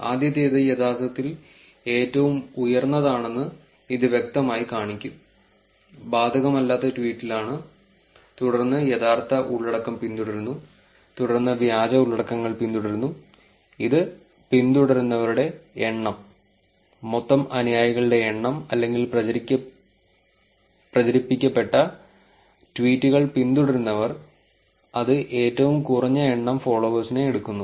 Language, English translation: Malayalam, It will clearly show that the first one is actually at the highest one, is at the not applicable tweet, then followed by the true content, and then followed by the fake contents, which is number of followers, the total number of followers or the followers for the tweets that got propagated, which is take at the least number of followers